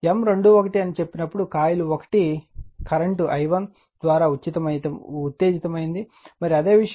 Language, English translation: Telugu, When you say M 2 1 right that means, coil 1 is excited by some current i 1 right, and that is the thing